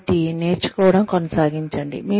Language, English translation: Telugu, So, keep learning